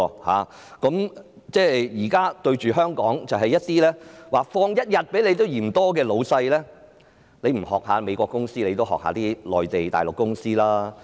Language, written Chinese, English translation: Cantonese, 我們現時面對香港多放1天假期也嫌多的僱主，即使他們不仿效美國公司，也應仿效內地的公司的做法。, At present we are facing employers who hold that an extra day of leave is too many for Hong Kong . Even if they do not follow the example of American firms they should copy the practice of Mainland companies